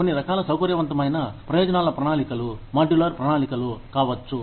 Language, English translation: Telugu, Some types of, flexible benefits plans could be, modular plans